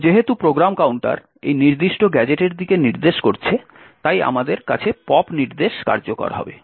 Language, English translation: Bengali, Now since the program counter is pointing to this particular gadget, we would have the pop instruction getting executed